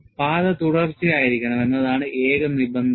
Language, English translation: Malayalam, The only requirement is the path should be continuous